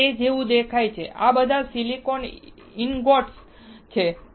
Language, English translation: Gujarati, This is how it looks like; these are all silicon ingots